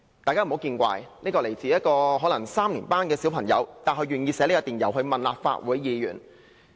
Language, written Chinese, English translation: Cantonese, "大家不要見怪，雖然這封電郵來自一位可能是3年級的小朋友，但他願意寫信問立法會議員。, end of quote While the sender of this email may be only a Primary Three student he was willing to write to a Legislative Council Member